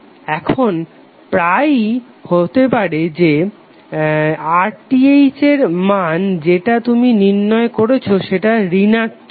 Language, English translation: Bengali, Now it often occurs that the RTh which you calculate will become negative